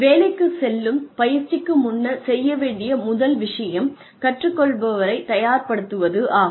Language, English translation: Tamil, For on the job training, the first thing that one needs to do is, prepare the learner